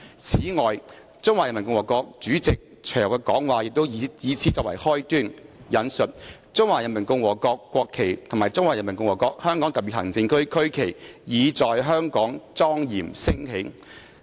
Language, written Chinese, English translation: Cantonese, 此外，中華人民共和國主席隨後的講話也以此作為開端：'中華人民共和國國旗和中華人民共和國香港特別行政區區旗，已在香港莊嚴升起。, And the speech which the President of the Peoples Republic of China then delivered began with the words The national flag of the Peoples Republic of China and the regional flag of the Hong Kong Special Administrative Region of the Peoples Republic of China have now solemnly risen over this land